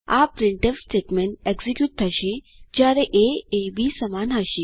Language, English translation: Gujarati, This printf statment will execute when a is not equal to b